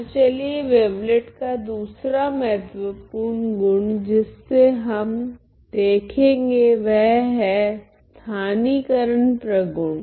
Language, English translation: Hindi, So, let us look at the second important feature that is the localization property of the wavelet